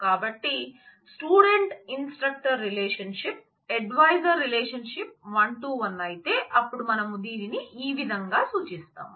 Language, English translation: Telugu, So, if the student instructor relationship advisor relationship is one to one, then this is how we will denote it